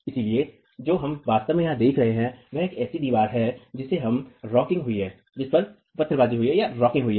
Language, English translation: Hindi, So, what we are actually observing here is a wall that is undergone rocking